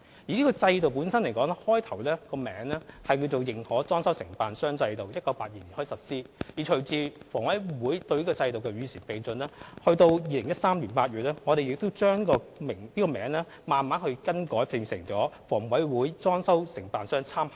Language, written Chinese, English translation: Cantonese, 這個制度原本的名字是認可裝修承辦商制度，由1982年開始實施，而隨着房委會對制度作出與時並進的改善，到2013年8月，我們把名字更改為裝修承辦商參考名單。, Originally named Approved Decoration Contractor System it has been implemented since 1982 . Following the improvements made by HA to keep the System abreast of the times it was renamed the Reference List of Decoration Contractors in August 2013